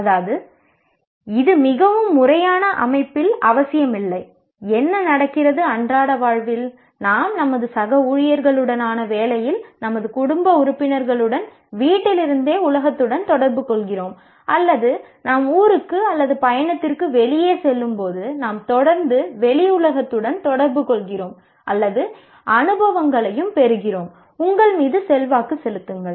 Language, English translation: Tamil, And also what happens in our daily life as we are interacting with the world through at home with our family members, at the job with our colleagues or when we go out into the town or travel, we are constantly interacting with the outside world or you are getting experiences and those experiences have an influence on you